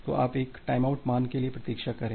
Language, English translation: Hindi, So, you wait for a timeout value